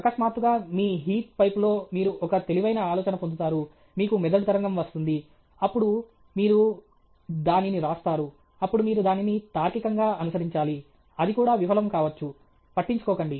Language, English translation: Telugu, Suddenly in your heat pipe, you get a brilliant, you will get a brain wave; then you write it down, then you have to logically follow it up it; it may cup also; doesn’t matter okay